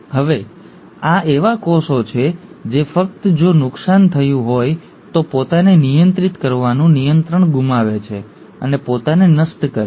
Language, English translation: Gujarati, Now these are cells which just lose that control of restraining itself if damages have happened and destruct themselves